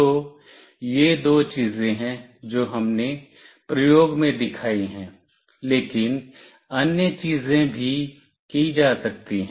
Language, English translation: Hindi, So, these are the two things that we have shown in the experiment, but other things can also be done